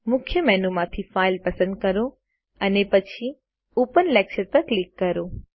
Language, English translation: Gujarati, From the Main menu, select File, and then click Open Lecture